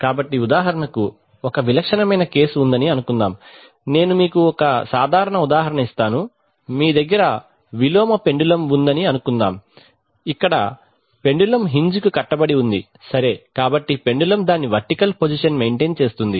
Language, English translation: Telugu, So for example, suppose there is an typical case, let me give you a simple example, suppose you have an inverted pendulum, the pendulum which is held here on a hinge right